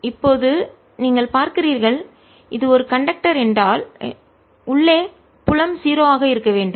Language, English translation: Tamil, now you see, if this is a conductor, field inside has to be zero